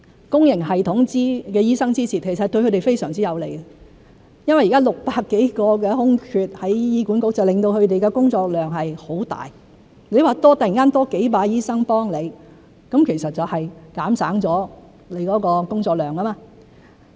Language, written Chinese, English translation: Cantonese, 公營系統醫生支持，其實對他們非常有利，因為現時在醫院管理局有600多個空缺，令他們的工作量很大，如果突然多了幾百個醫生幫忙，其實就可減省工作量。, In fact doctors in the public sector can benefit a lot if they support this initiative . At present there are some 600 vacancies in the Hospital Authority HA which has greatly increased their workload . If there are hundreds of doctors to help immediately their workload can actually be reduced